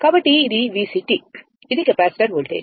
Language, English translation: Telugu, So, this is V C the capacitor is there